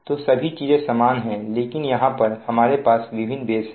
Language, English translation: Hindi, so everything is same, but we have a different base now